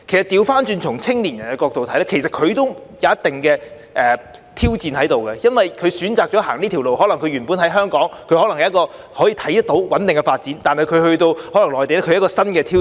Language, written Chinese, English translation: Cantonese, 相反從青年人的角度看，其實對他們也存在一定的挑戰，因為他們選擇了走這條路，他們原本在香港可能看到有穩定的發展，但返回內地對他們可能是一個新挑戰。, Actually they have to face some challenges . Since they have chosen this path . They may see a stable career development in Hong Kong working in the Mainland is perhaps a new challenge